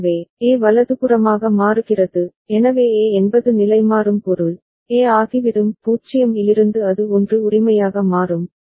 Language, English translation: Tamil, So, then A will toggle right, so A will toggle means, A will become from 0 it will become 1 right